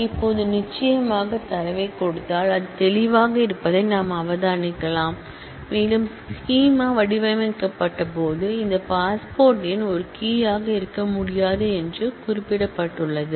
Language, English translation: Tamil, Now of course, we can observe that given the data it is clear and it was also mentioned when the schema was designed this passport number cannot be a key